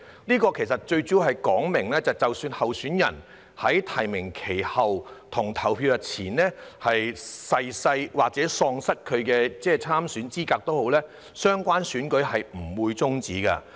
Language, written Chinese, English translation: Cantonese, 這其實主要是說明，即使候選人在提名期結束後但在投票日前逝世或喪失參選資格，相關選舉也不會終止。, In fact this mainly provides that in case of death or disqualification of a candidate after the close of nominations but before the polling day the relevant election proceedings would not be terminated